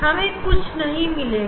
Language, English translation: Hindi, we should not get any